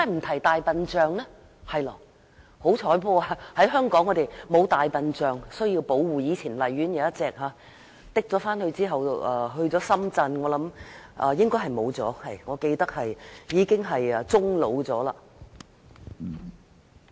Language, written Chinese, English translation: Cantonese, 幸好香港沒有大象需要保護，以前荔園動物園有一隻，後來運到深圳，記憶所及，該大象應該已經終老。, Fortunately there are no elephants in Hong Kong that need protection . The elephant in the former Lai Chi Kok Zoo was later sent to Shenzhen and as far as my memory goes it died